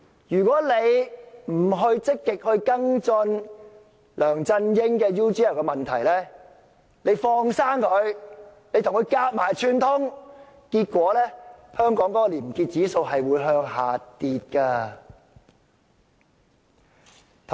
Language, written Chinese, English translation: Cantonese, 如果大家不積極跟進梁振英與 UGL 的問題，把他"放生"，而且與他合謀串通，香港的廉潔指數便會向下跌。, If we do not actively follow up on the issue relating to LEUNG Chun - ying and UGL and let him off the hook or even conspire and collude with him Hong Kongs probity index will drop